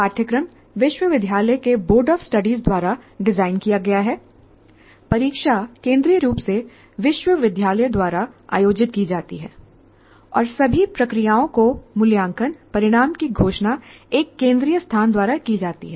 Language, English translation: Hindi, Curculum is designed by Board of Studies of the University and then examination is conducted by the university centrally and then evaluation is done, the results are declared, everything, all the processes are done by the one central place